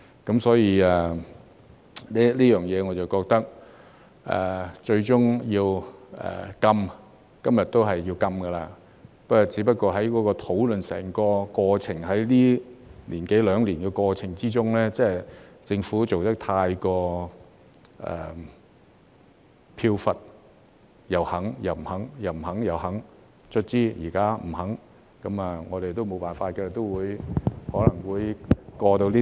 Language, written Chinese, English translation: Cantonese, 在這方面，我覺得今日結果也是要禁的，只不過是在整整一年多兩年的討論過程之中，政府做得太飄忽，又肯又不肯，又不肯又肯，最終現在不肯，我們都沒有辦法，這項法案可能都會獲得通過。, In this connection I think the ban will ultimately be endorsed today just that in the course of discussion throughout the past year or two the Government was too capricious constantly changing its position and shifting between yes and no . Now it is eventually saying no . We can do nothing about it and this Bill will likely be passed